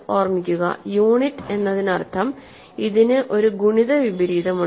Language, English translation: Malayalam, Unit remember means, it has a multiplicative inverse